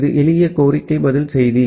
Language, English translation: Tamil, It is simple request response message